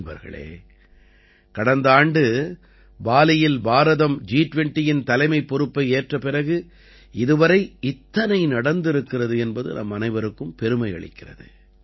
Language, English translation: Tamil, Friends, since India took over the presidency of the G20 in Bali last year, so much has happened that it fills us with pride